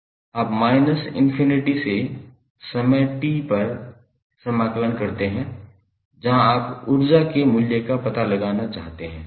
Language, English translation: Hindi, You integrate from minus infinity to time say t, at particular instant where you want to find out the value of energy stored